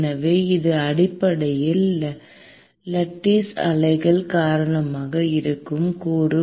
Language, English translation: Tamil, So, this is essentially, the component that is because of lattice waves